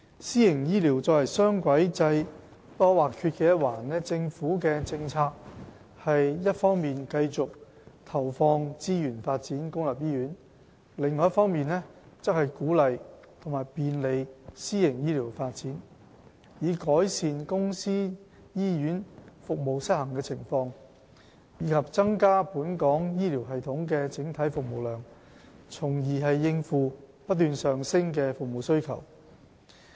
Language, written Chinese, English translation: Cantonese, 私營醫療作為雙軌制不可或缺的一環，政府的政策是一方面繼續投放資源發展公立醫院，另一方面則鼓勵和便利私營醫療發展，以改善公私營醫院服務失衡的情況，以及增加本港醫療系統的整體服務量，從而應付不斷上升的服務需求。, The private health care sector is an integral part of the dual - track system . The Governments policy is to continue allocating resources to develop public hospitals while at the same time promote and facilitate private health care development . This will help redress the imbalance between the public and private sectors in hospital services and increase the overall capacity of the health care system in Hong Kong to cope with the rising service demand